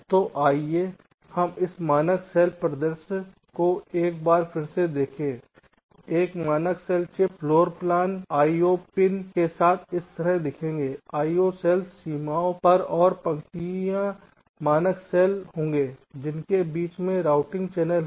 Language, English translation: Hindi, a standard cell chip floorplan would look like this with the io pins, the io cells on the boundaries and the rows will be this: standard cells with routing channels in between